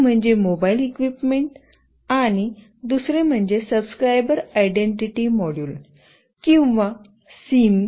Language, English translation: Marathi, One is the mobile equipment, and another is Subscriber Identity Module or SIM